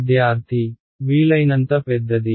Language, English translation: Telugu, As large as possible